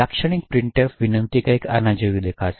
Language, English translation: Gujarati, So, typical printf invocation would look something like this